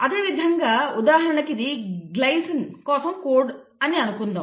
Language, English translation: Telugu, The same, let us say this codes for glycine, for example